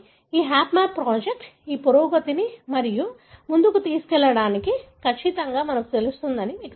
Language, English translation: Telugu, But, this HapMap project is, you know, would certainly help us to take this advancement further